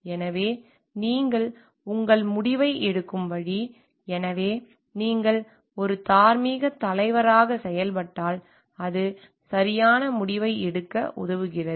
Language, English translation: Tamil, So, there the way that you make your decision, so, if you are acting like a moral leader, it helps you to make correct decision